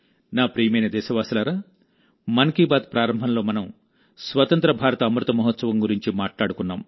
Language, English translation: Telugu, My dear countrymen, in the beginning of 'Mann Ki Baat', today, we referred to the Azadi ka Amrit Mahotsav